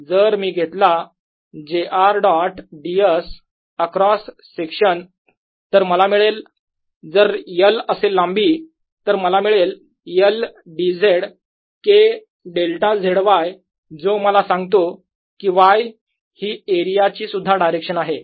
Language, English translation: Marathi, so if i do j r dot d s across this cross section, i am going to get, if this length is l, l, d z k delta z, y, which gives me a